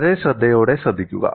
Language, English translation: Malayalam, And also listen very carefully